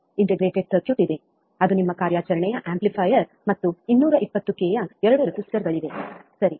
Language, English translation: Kannada, There is an integrated circuit, which is your operational amplifier and there are 2 resistors of 220 k, right